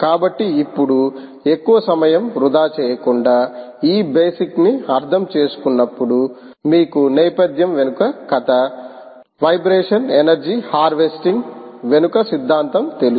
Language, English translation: Telugu, ok, so now, without wasting much time, when having understood ah, this basic ah, you know story behind ah, background theory behind the ah vibration energy harvesting, let us see a nice demonstration of the system